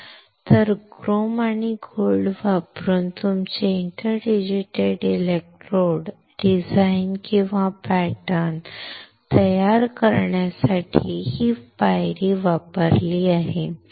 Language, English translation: Marathi, So, this is the step used to design or pattern your inter digitated electrodes using chrome and gold